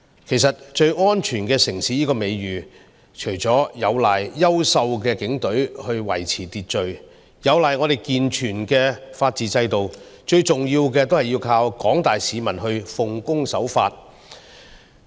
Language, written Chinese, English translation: Cantonese, 其實，最安全城市這個美譽，除了有賴優秀的警隊維持秩序，有賴我們健全的法治制度，最重要的是依靠廣大市民奉公守法。, In fact our reputation of being the safest city is built on our outstanding Police Force which maintains law and order our sound legal system and most importantly our law - abiding citizens